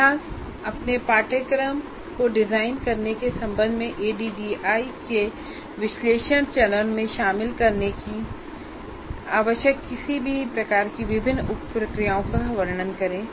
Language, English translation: Hindi, Describe any different sub processes you consider necessary to include in the analysis phase of ADD with respect to designing your course